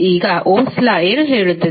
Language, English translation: Kannada, Now, what Ohm’s law says